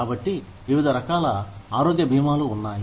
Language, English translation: Telugu, So, various types of health insurance are there